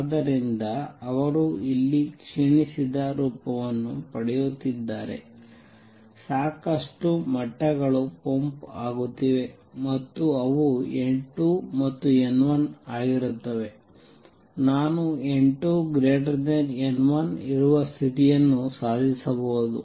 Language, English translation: Kannada, So, they are getting depleted form here lots of levels are being pumped up and they will be a n 2 and n 1 would be such that I can achieve a condition where n 2 is greater than n 1